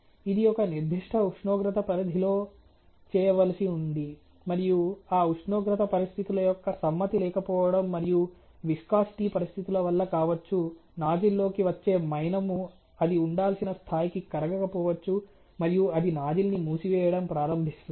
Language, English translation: Telugu, So, that follow ability can increase etcetera also it has to be done at a certain temperature condition, and may be because of noncompliance of those temperature condition, and viscosity conditions the wax which is coming into the nuzzle may not be to the level, you know may not be melted to the level that it is supposed to be and it starts clogging nuzzle